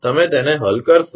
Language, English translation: Gujarati, You will solve it